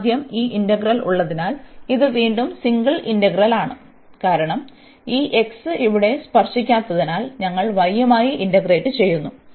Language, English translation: Malayalam, So, having this integral first this again a single integral, because this x we are not touching here, we are integrating with respect to y